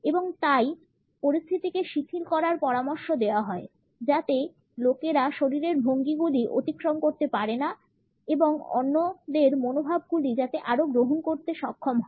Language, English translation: Bengali, And therefore, it is advisable to relax the atmosphere so that the people can uncross the body postures and be more receptive in their attitudes